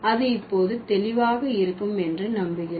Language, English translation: Tamil, I hope it is clear now